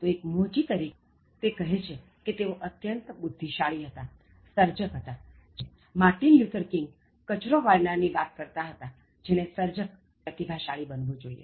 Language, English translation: Gujarati, ” So even as a shoemaker, he says that he was a genius, he was a creator, just like what Martin Luther King was talking about a sweeper who should be like a creator and a genius